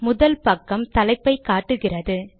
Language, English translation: Tamil, The first page shows the title